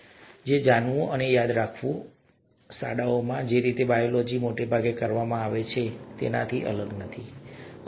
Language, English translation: Gujarati, And therefore, knowing and remembering and recalling and so on so forth is no different from the way biology is done largely in schools, right